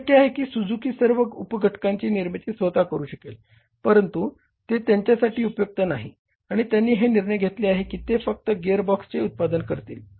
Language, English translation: Marathi, It is possible that Suzuki can manufacture all the sub components but it is not useful for them and they have to make a decision that gearbox fine we are manufacturing